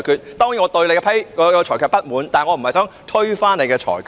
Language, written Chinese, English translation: Cantonese, 我當然對你的裁決感到不滿，但我並非想推翻你的裁決。, I certainly am dissatisfied with your ruling but I do not wish to reverse your ruling